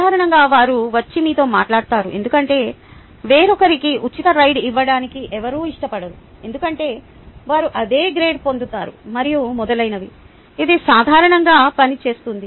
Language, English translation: Telugu, usually they come and talk to you because nobody wants to give a free ride to somebody else, because they get the same grade as them, and so on